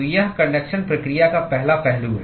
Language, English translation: Hindi, So, this is the sort of the first aspect of conduction process